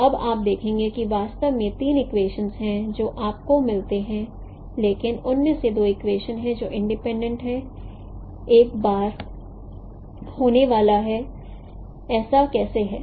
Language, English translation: Hindi, So now you see that there are actually three equations what you get but out of them there are two equations which are independent